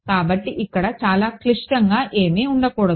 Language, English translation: Telugu, So, should not be anything too complicated here